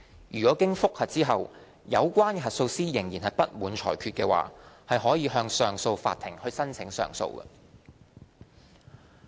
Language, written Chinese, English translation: Cantonese, 如經覆核後，有關核數師仍不滿裁決，可向上訴法庭申請上訴。, If following the conclusion of the review the auditor is still not satisfied with the decision he may lodge an application for leave to appeal with the Court of Appeal